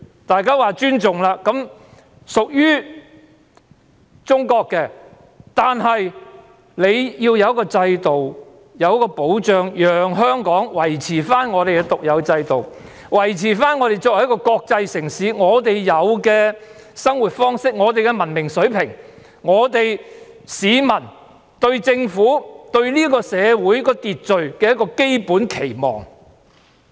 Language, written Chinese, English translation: Cantonese, 大家尊重中國的主權，而中國必須讓香港維持獨有的制度，維持我們作為國際城市的生活方式、文明水平、市民對政府和社會秩序的基本期望。, People respect the sovereignty of China over Hong Kong but China must allow Hong Kong to maintain its unique systems ways of life as an international city level of civilization and the basic expectations of the people towards the Government and social order